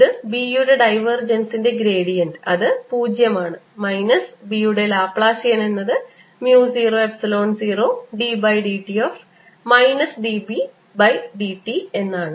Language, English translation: Malayalam, this is gradient of divergence of b, which is zero, minus laplacian of b is equal to mu zero, epsilon zero d by d t of minus d b d t